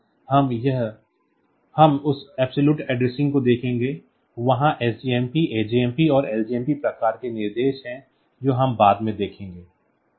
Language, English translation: Hindi, So, we will see that absolute addressing there sjmp; there the ajmp and ljmp type of instructions that we will see later